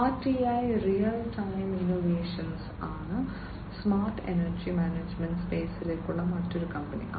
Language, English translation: Malayalam, RTI, Real Time Innovations is another company, which is into the smart energy management space